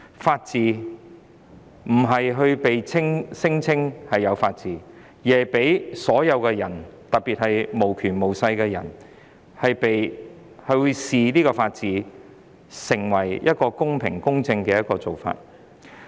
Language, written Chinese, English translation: Cantonese, 法治不是被宣稱擁有的，而是要被所有人，特別是無權無勢的人視為公平、公正的做法。, The rule of law should not be something we claim to have but something to be seen as fair and just by all especially those who have no power or influence